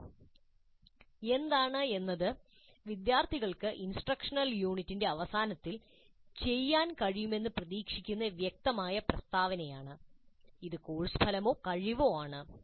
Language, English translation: Malayalam, And what is a clear statement of what the students are expected to be able to do at the end of the instructional unit, which is for us the course outcome or competency